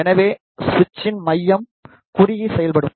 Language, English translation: Tamil, So, the centre of the switch is short